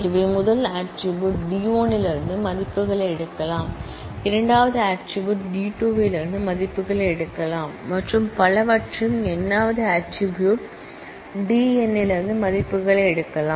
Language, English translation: Tamil, So, the first attribute can take values from D 1, second attribute can take values from D 2 and so on and the nth attribute can take values from D n